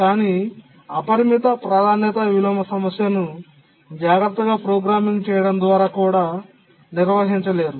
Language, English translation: Telugu, But we will see that the unbounded priority inversion problem cannot be handled in similar way through careful programming